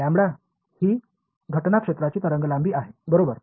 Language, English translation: Marathi, Lambda is the wave length of the incident field right